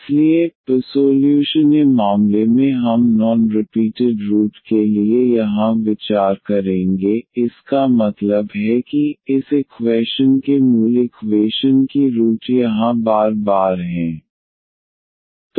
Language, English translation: Hindi, So, first case we will consider here for non repeated roots; that means, the roots of this auxiliary equations root of this equation here are non repeated